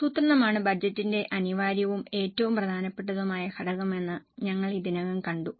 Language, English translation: Malayalam, We have already seen that planning is the essential and the most important component of budget